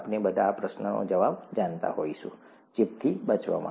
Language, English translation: Gujarati, All of us would know the answer to this question – to avoid infection